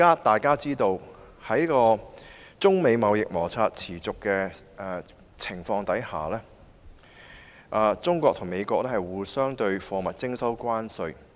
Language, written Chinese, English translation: Cantonese, 眾所周知，在中美貿易摩擦持續的情況下，中國和美國向對方的貨物徵收關稅。, As we all know due to the persistent trade disputes between China and the United States both countries have imposed tariffs on the goods of each other